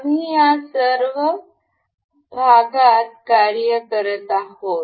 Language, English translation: Marathi, We have been working on this part section